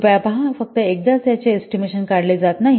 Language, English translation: Marathi, Please see, it is not just estimated only once